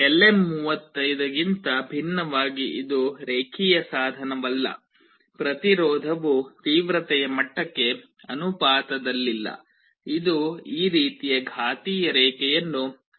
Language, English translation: Kannada, Unlike LM35 this is not a linear device; the resistance is not proportional to the intensity level, it follows this kind of exponential curve